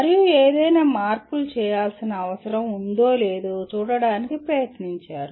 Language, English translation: Telugu, And tried to see whether any modifications need to be done